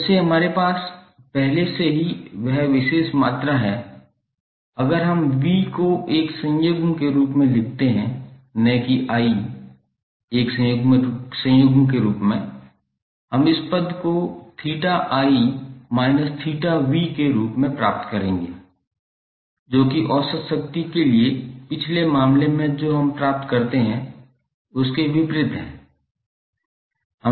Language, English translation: Hindi, So since we already have that particular quantity derived if we put V as a conjugate and not I is a conjugate we will get this term as theta I minus theta v which would be contradictory to what we derived in previous case for the average power that why we use VI conjugate not V conjugate I